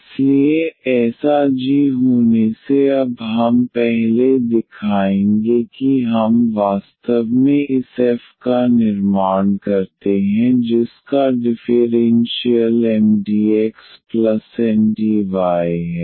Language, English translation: Hindi, So, having such a g now what we will show first before we exactly construct this f whose differential is M x plus Ndy